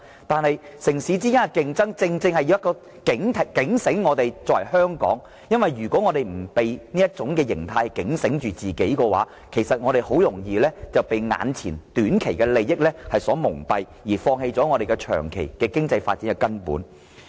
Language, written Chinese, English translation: Cantonese, 但是，城市之間的競爭卻正好警醒香港，因為如果香港不被警醒，那麼香港便很容易被眼前短期的利益所蒙蔽，從而放棄了香港根本的長遠經濟發展。, But we must realize that an awareness of inter - city competition is precisely the one thing which can alert Hong Kong . If Hong Kong is not alerted it will be easily blinded by immediate benefits thus ignoring the fundamental importance of its long - term economic development